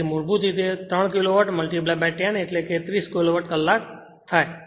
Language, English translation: Gujarati, So, basically 3 Kilowatt into 10 means 30 Kilowatt hour right